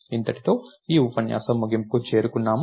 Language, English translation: Telugu, So, this end brings us to the end of the lecture